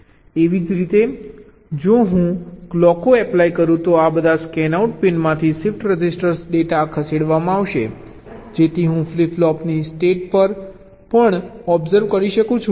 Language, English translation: Gujarati, similarly, if i apply clocks, the shift register data will be shifted out from this scanout pin so i can observe the states of the flip flops also